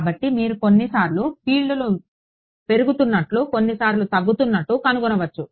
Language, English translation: Telugu, So, you might find sometimes the fields are increasing sometimes the decreasing